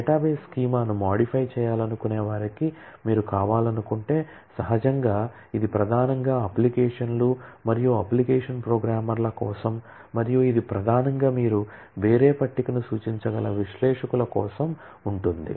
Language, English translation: Telugu, Similar set of another set of authorisations will exist, if you want to for those want to modify the database schema, naturally, this is primarily for the applications and application programmers, and this primarily would be for the analysts that you can index the different table you can do